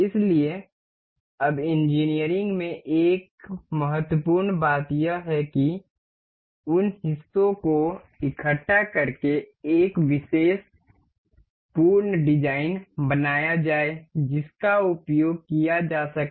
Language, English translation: Hindi, So, now there is an important thing in engineering to assemble those parts to make one particular full design that may be used